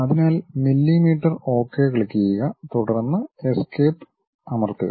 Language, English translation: Malayalam, So, millimeters and click Ok, then press Escape